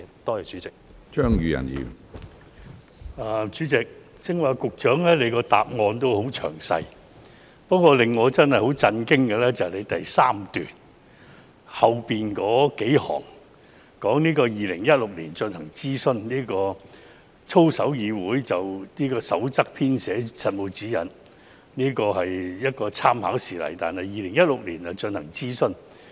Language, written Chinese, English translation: Cantonese, 主席，局長剛才的主體答覆十分詳細，不過，令我真的感到很震驚的是，局長在主體答覆第三段的最後數行說，操守議會"曾就《守則》編寫實務指引及參考事例，並於2016年進行諮詢。, President the main reply given by the Secretary just now is very detailed but what I find really shocking is that the Secretary said in the last few lines of the third paragraph of his main reply that CPC drew up practical guidelines with exemplars for the Code . A consultation was carried out in 2016